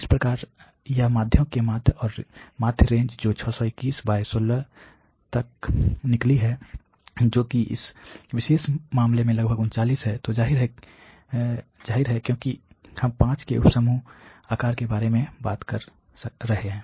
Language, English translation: Hindi, So, that is the mean of the means and the average range which comes out to be 621 by 16 which is about 39 in this particular case, so obviously, because we are talking about sub group size of 5